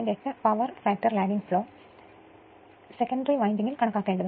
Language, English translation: Malayalam, 8 power factor lagging flows in the secondary winding, you have to calculate